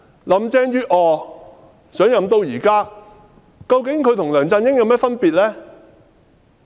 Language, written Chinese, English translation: Cantonese, 林鄭月娥上任至今，與梁振英有何分別呢？, Since Carrie LAM assumed office in what way is she different from LEUNG Chun - ying?